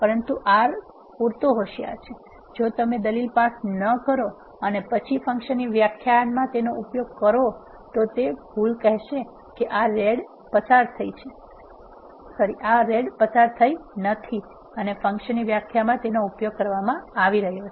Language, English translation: Gujarati, But R is clever enough, if you do not pass the argument and then use it in the definition of the function it will throw an error saying that this rad is not passed and it is being used in the function definition